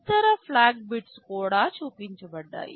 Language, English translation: Telugu, The other flag bits are also shown